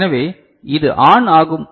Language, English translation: Tamil, So, this will be ON